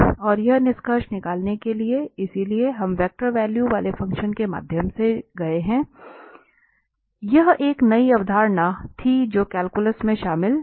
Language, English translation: Hindi, And to conclude this, so, we have gone through the vector valued functions, so that was a new concept which was not covered in the calculus